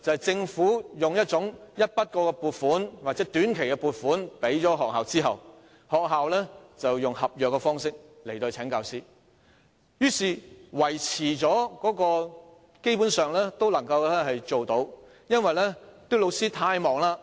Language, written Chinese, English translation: Cantonese, 政府向學校提供一筆過撥款或短期撥款後，學校便以合約方式聘請教師，於是，學校基本上能維持營運。, After the Government has given a one - off or short - term grant to a school the school will hire teachers on contract terms and then it can basically maintain the operation